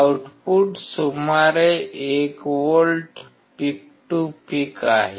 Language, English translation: Marathi, Output is about 1 volts peak to peak